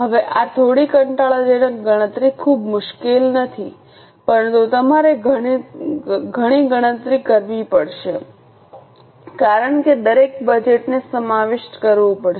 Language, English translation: Gujarati, Now, this is a bit tedious calculation, not very difficult but you will to do a lot of calculation because each and every budget will have to be incorporated